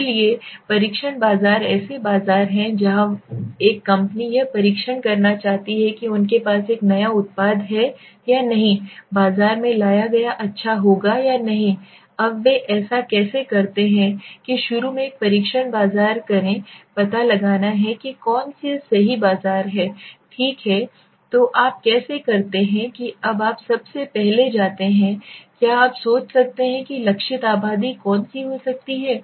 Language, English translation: Hindi, So test markets are markets where a company wants to test whether a new product they have brought to the market will do well or not now how do they do it that do a test market initially you have to find out which is the right test market okay so how do you do that now you first of all go to you think who could be a target population